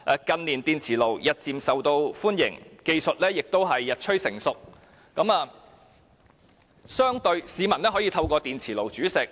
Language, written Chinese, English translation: Cantonese, 近年，電磁爐日漸受歡迎，技術亦日趨成熟，市民可以利用電磁爐煮食。, In recent years induction cookers have become increasingly popular and as the technology has matured people can use induction cookers for cooking